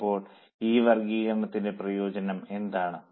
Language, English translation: Malayalam, Now what is the advantage of this cost classification